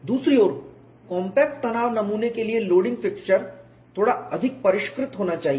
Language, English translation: Hindi, On the other hand, the compact tension specimen loading fixtures have to be little more sophisticated